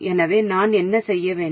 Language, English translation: Tamil, So what should I do